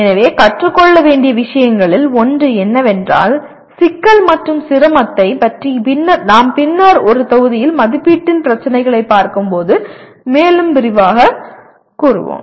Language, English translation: Tamil, So one of the things to learn is that complexity and difficulty we will elaborate more when we look at the issue of assessment in a later module